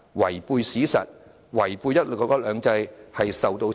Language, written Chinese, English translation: Cantonese, 違背史實，違背"一國兩制"，最終會受到懲罰。, Anyone who goes against historical facts and violates one country two systems will be liable to punishment in the end